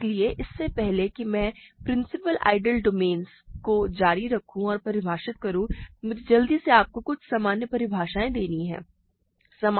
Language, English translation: Hindi, So, before I continue and define principal ideal domains, let me quickly give you some general definitions